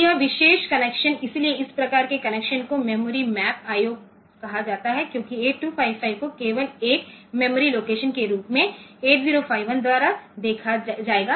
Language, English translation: Hindi, So, this particular connection; so, this type of connection is called memory map I O because the 8255 will be visualized by 8051 as a memory location only